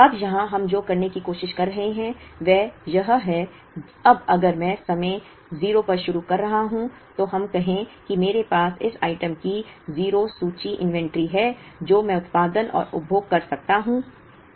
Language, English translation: Hindi, Now, here what we are trying to do is this, now if I am starting at time 0, let us say I have inventory of 0 of this item I can produce and consume